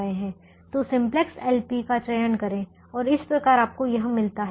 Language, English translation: Hindi, so select simplex l p and that is what you get here